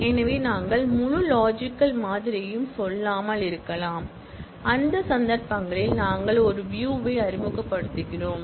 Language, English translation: Tamil, So, we may not expose the whole logical model and in those cases, we introduce a view